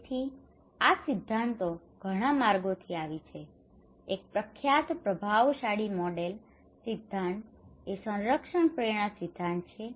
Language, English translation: Gujarati, So these theories came from many routes, one of the prominent influential model theory is the protection motivation theory